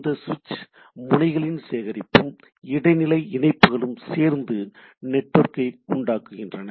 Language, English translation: Tamil, So, this collection of nodes and intermediate connections forms network